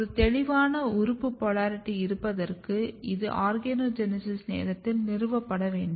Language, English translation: Tamil, And if you look that there is a clear organ polarity, and this polarity is also need to be established at the time of organogenesis